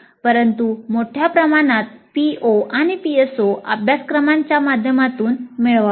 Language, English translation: Marathi, So attainment of the POs and PSOs have to be attained through courses